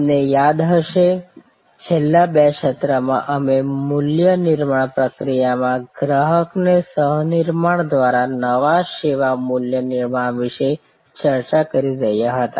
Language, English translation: Gujarati, You recall, in the last couple of sessions we were discussing about new service value creation through co creation by co opting the customer in the value creation process